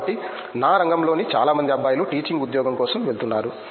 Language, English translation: Telugu, So, most of the guys in my field are going for a teaching job